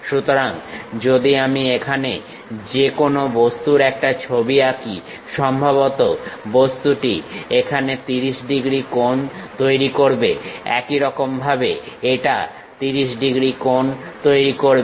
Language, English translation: Bengali, So, if I am drawing a picture here, any object thing; object dimension supposed to make 30 degrees here, similarly this one makes 30 degrees